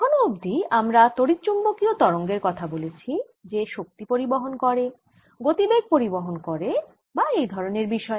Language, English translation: Bengali, so far we have talked about electromagnetic waves, transporting energy, transporting momentum and all these things